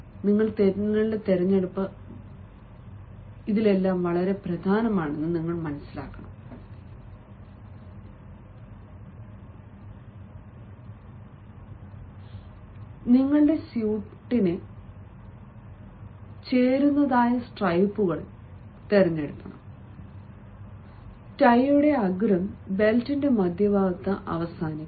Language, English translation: Malayalam, ah, if, if you prefer stripes, let the stripes be conservative, that compliment your suit and the tip of the tie should end near the center of the belt